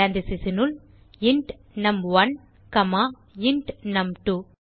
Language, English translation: Tamil, Within parentheses int num1 comma int num2